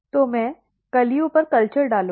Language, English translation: Hindi, So, I will put the culture on the buds